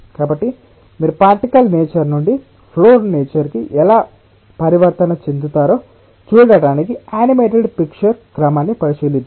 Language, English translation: Telugu, so let us look in to a sequence of animated pictures to see that how you can have a transition from a particle nature to a flow nature